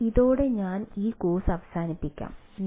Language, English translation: Malayalam, so with these ah, let me ah conclude this course